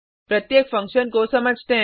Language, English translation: Hindi, Let us understand each function